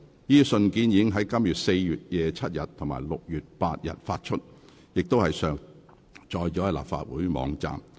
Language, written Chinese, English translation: Cantonese, 這些信件已於今年4月27日及6月8日發出，並上載立法會網站。, The letters dated 27 April and 8 June respectively have been uploaded onto the Legislative Council website